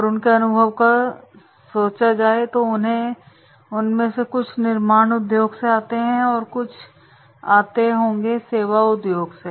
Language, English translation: Hindi, And the nature of experience, some of them might be coming from manufacturing industries, some of them might be coming from service industries